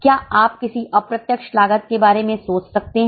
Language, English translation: Hindi, Can you think of any other example of indirect cost